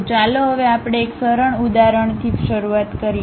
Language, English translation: Gujarati, So, now let us begin with one simple example